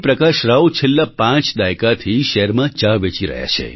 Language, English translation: Gujarati, Prakash Rao has been a tea vendor in the city of Cuttack forthe past five decades